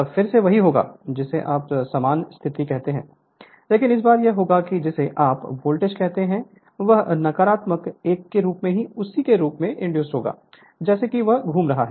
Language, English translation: Hindi, Then again it will be your what you call the same position, so this time it will be what you call your voltage will be induced as negative one same as alternative one right as it is revolving